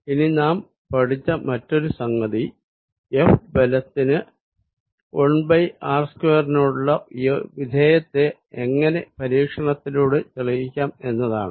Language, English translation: Malayalam, Now, the other thing we learnt that, how to experimentally checked that this dependence F is 1 over r square